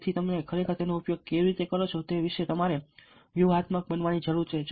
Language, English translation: Gujarati, so you need to be strategic about how you are actually using it